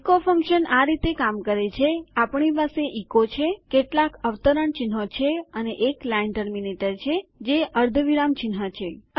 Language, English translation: Gujarati, The echo function works like this: weve got echo, weve got some double quotes and weve got a line terminator which is the semicolon mark